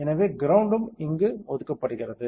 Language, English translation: Tamil, So, ground is also assign here